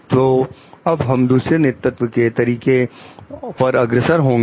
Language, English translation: Hindi, So, we will move to the different leadership styles